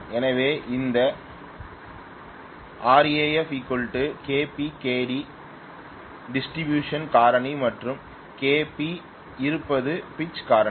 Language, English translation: Tamil, So this Kw actually will be equal to Kd multiplied by Kp, Kd p distribution factor and Kp being pitch factor